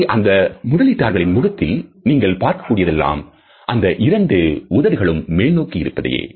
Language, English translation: Tamil, What you see here on the investors face is just the two lips going upwards